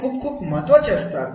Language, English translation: Marathi, This is very, very important